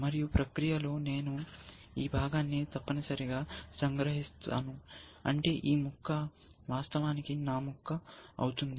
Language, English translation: Telugu, And in the process, I will capture this piece essentially, which means this piece becomes actually mike piece